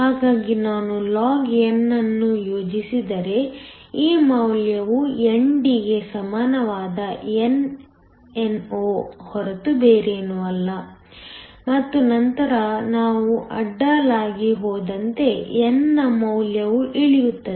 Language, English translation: Kannada, So if I plotted log, this value is nothing but nno which is equal to ND, and then as you go across, the value of n drops